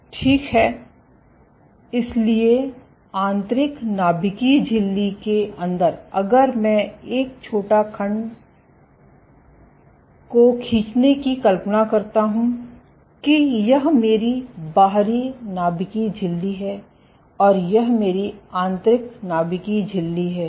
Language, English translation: Hindi, So, inside the inner nuclear membrane so if I draw a short segment of imagine that this is my outer nuclear membrane and this is my inner nuclear membrane